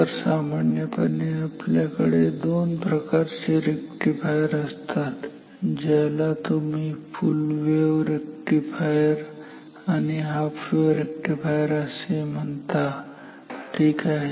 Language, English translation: Marathi, So, generally we can have two types of rectifiers which you call as full wave rectifier and half wave rectifier ok